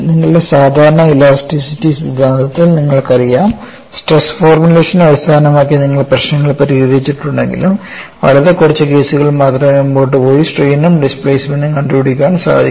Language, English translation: Malayalam, You know in your normal theory of elasticity, though you have solved the problems based on stress formulation, only for a very few cases probably you would have gone ahead and evaluated the strain as well as the displacement